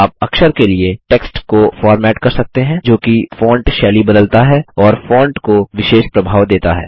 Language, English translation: Hindi, You can format text for Character, that is change font styles and give special effects to fonts